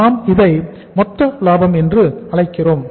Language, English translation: Tamil, We call it as gross profit